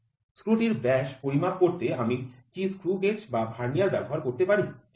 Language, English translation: Bengali, Can I use a screw gauge or a Vernier to measure diameter of the screw, ok